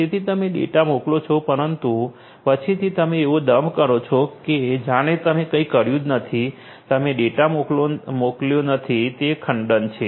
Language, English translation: Gujarati, So, you send the data, but later on you know you pose like as if you have not done anything, you have not sent the data right, so, that is repudiation